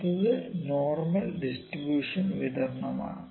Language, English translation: Malayalam, So, next is normal distribution